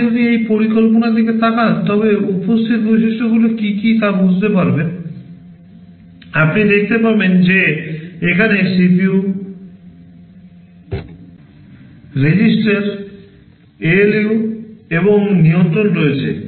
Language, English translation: Bengali, If you look at this schematic what are the typical things that are present, you will see that, there is CPU, registers, ALU’s and control